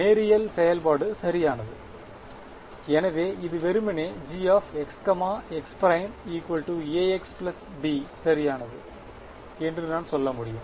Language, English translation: Tamil, Linear function right, so I can say that this is simply equal to A x plus B right, so is equal to G x x prime right